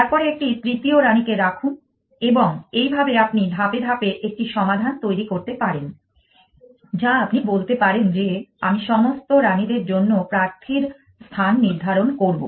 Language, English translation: Bengali, Then, place a third queen that and you can build a solution step by step all you can say that I will have a candidate placement for all the queens